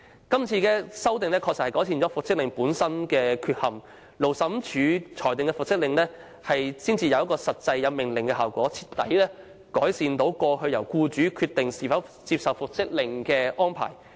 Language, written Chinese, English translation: Cantonese, 今次修例確實能夠改善原有復職令的缺陷，因為由勞資審裁處作出的復職令具有命令效果，徹底改善過往由僱主決定是否接受復職令的安排。, This legislative amendment is going to make a real enhancement to the original reinstatement orders since the reinstatement orders made by the Labour Tribunal in future will have the true effect of orders completely fixing the old problem of allowing employers to decide whether to accept the reinstatement orders or not